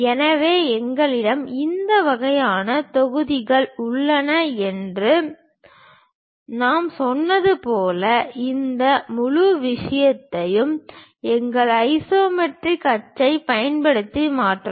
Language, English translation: Tamil, So, as I said we have this kind of blocks, transfer this entire thing using our isometric axis